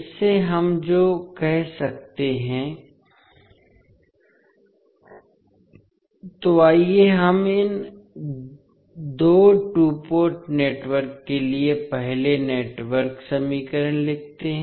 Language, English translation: Hindi, So, let us write first the network equations for these two two port networks